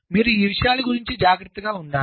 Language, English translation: Telugu, so you have to be careful about these things